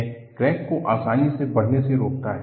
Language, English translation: Hindi, It prevents the crack to grow easier